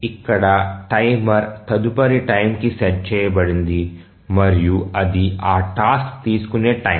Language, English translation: Telugu, So, here the timer is set for the next time and that is the time that the task takes